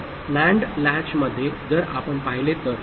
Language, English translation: Marathi, So, in the NAND latch if you look at it